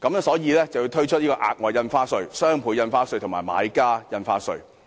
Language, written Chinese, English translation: Cantonese, 所以才要推出額外印花稅、雙倍從價印花稅及買家印花稅。, Against this backdrop the Government had introduced the Special Stamp Duty the Doubled Ad Valorem Stamp Duty and the Buyers Stamp Duty